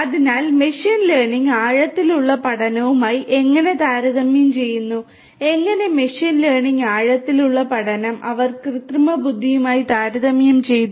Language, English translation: Malayalam, So, how machine learning compares with deep learning and how machine learning, deep learning; they compared together with artificial intelligence